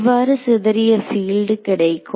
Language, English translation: Tamil, So, how to get the scattered field